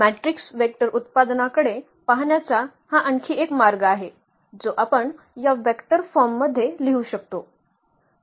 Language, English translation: Marathi, So, that is another way of looking at this matrix vector product we can write down in this vector forms